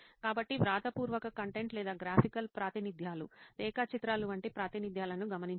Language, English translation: Telugu, So noting down either written content or graphical representations, representations like diagrams